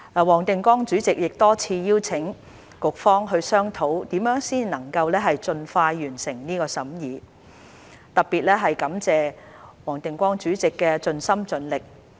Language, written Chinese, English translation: Cantonese, 黃定光主席亦多次邀請局方商討怎樣才能夠盡快完成這審議，特別要感謝黃定光主席的盡心盡力。, Chairman WONG Ting - kwong invited the Bureau several times to discuss ways to complete the scrutiny as soon as possible and I would like to particularly thank Chairman WONG Ting - kwong for his dedication